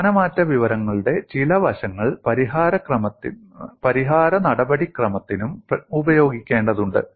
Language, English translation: Malayalam, Certain aspects of displacement information need to be used for the solution procedure also